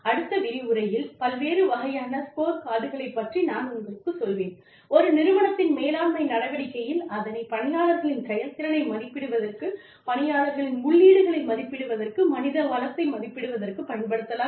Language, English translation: Tamil, In the next lecture, i will tell you about, the different types of scorecards, we can use, in order to, assess the performance of employees, in order to, assess the inputs of the employees, in order to, assess the human resource management functions, within an organization